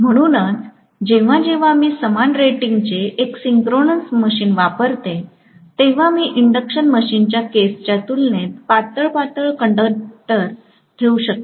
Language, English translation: Marathi, So, whenever I employ a synchronous machine of the same rating, I can put conductors which are thinner as compared to the induction machine case